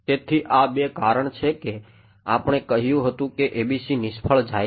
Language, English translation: Gujarati, So, to summarize there are two reasons that we say that the ABC fail